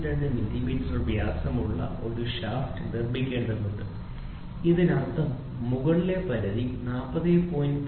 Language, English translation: Malayalam, 02 millimeter, this means that the shaft will be accepted if the diameter between the upper limit of 40